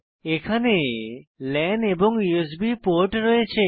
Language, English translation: Bengali, It also has a lan port and USB ports